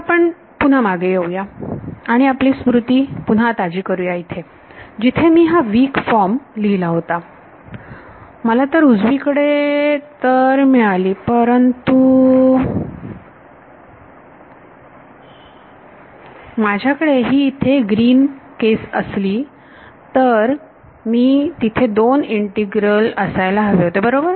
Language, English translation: Marathi, Let us again go back and refresh our memory here, over here when I wrote down this weak form, I got one term on the right hand side but, if I had this green case over here then, there were 2 integrals right